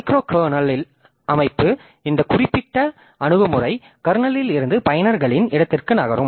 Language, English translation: Tamil, So, micro kernel system structure, so what the this this particular approach so it moves as much from the kernel into the user space